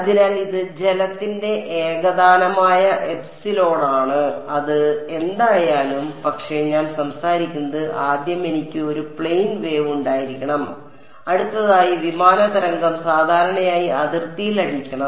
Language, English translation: Malayalam, So, this is the homogeneous epsilon of water right whatever it is, but what I what I am talking about is first of all I need to have a plane wave and next of all the plane wave should be hitting the boundary normally